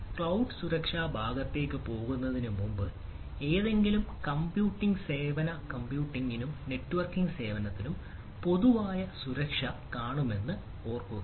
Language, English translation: Malayalam, so, before going to the cloud security part, say, we will see security in general for any computing service, computing and networking service